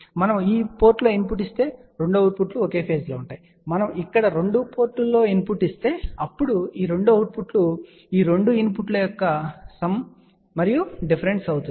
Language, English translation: Telugu, If we give input at this port, the 2 outputs are at the same phase and if we give input at both the ports here, then the 2 outputs will be sum and difference of these 2 input